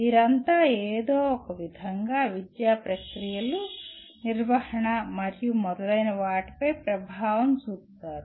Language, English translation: Telugu, They all have influence somehow on the academic processes, management and so on